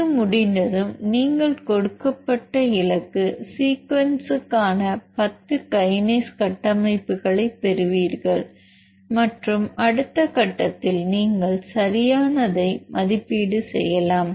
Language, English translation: Tamil, Once this is done and you will be getting the 10 kinase structures for the given target sequence and you can evaluate the correctness of the model in the next step